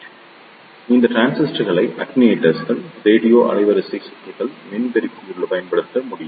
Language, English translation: Tamil, So, these transistors can be used in attenuators, RF circuits, amplifiers